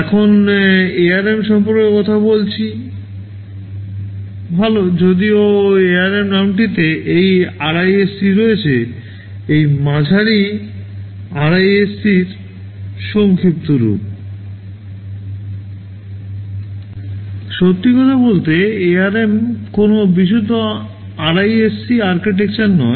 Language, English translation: Bengali, Now talking about ARM, well although the name ARM contained this RISC this middle R is the acronym for RISC,